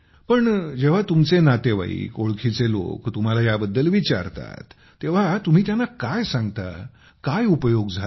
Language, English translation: Marathi, But when all your relatives and acquaintances ask you, what do you tell them, what have the benefits been